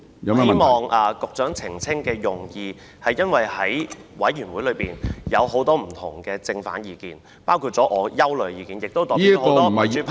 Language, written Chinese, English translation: Cantonese, 我希望局長澄清的用意，是因為委員會中有很多不同的正、反意見，包括我的憂慮，亦代表了很多民主派......, I asked the Secretary for clarification because there are many different positive or negative opinions in the committee including my own concern which is representative of many from the democratic camp